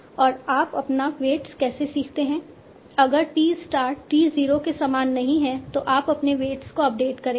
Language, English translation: Hindi, So you will say if t star not equal to T0, then you update your weights